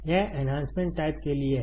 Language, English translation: Hindi, This is for Enhancement type